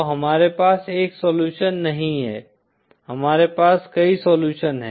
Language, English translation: Hindi, So we donÕt have a single solution, we have multiple solutions